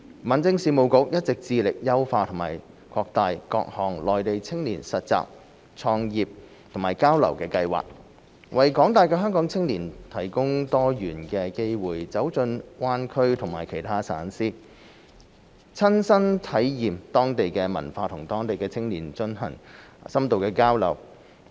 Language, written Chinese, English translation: Cantonese, 民政事務局一直致力優化和擴大各項內地青年實習、創業及交流計劃，為廣大香港青年提供多元化的機會走進灣區和其他省市，親身體驗當地文化及與當地青年進行深度交流。, The Home Affairs Bureau has long been making efforts to enhance and extend the scope of various schemes for youth internship entrepreneurship and exchange on the Mainland providing diversified opportunities for Hong Kong young people to set foot in the Greater Bay Area as well as other provinces and municipalities on the Mainland . Participants will gain first - hand experience of local cultures and have dynamic interaction with local youths